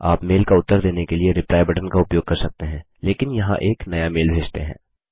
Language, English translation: Hindi, You can use the Reply button and reply to the mail, but here lets compose a new mail